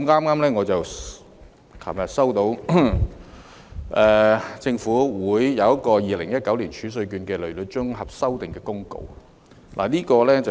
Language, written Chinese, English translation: Cantonese, 我昨天剛接獲政府發出的《2019年儲稅券公告》，內容是甚麼呢？, I just received yesterday the Tax Reserve Certificates Amendment Notice 2019 issued by the Government . What is it all about?